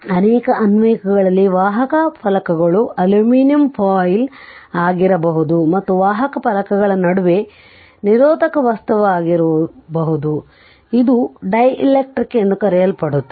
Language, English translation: Kannada, In many applications the conducting plates may be aluminum foil right the that conducting plates may be aluminum foil and the insulating material between the conducting plates, we called a dielectric right